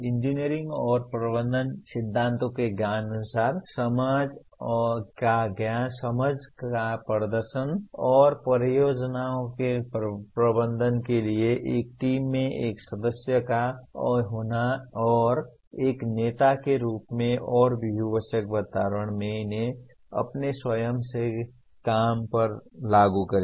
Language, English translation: Hindi, Demonstrate knowledge and understanding of the engineering and management principles and apply these to one’s own work, as a member and a leader in a team to manage projects and in multidisciplinary environments